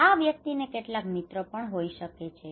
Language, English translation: Gujarati, This person he may have also some friend